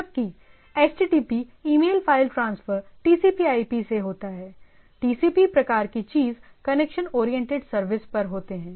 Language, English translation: Hindi, Whereas, HTTP email file transfer are over this type of TCP/IP, TCP type of thing connection oriented service